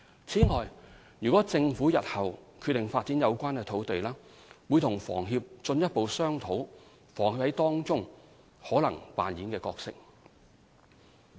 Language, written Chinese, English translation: Cantonese, 此外，如政府日後決定發展有關土地，會與房協進一步商討房協在當中可能扮演的角色。, In addition should the Government decide to proceed with the development of these sites the possible role of HKHS would be subject to further discussion between the Government and HKHS